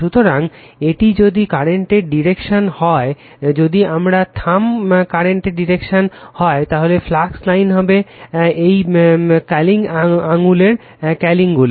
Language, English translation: Bengali, So, if the if this is the direction of the current, if my thumb is the direction of the current, then flux line will be the curling this curling finger right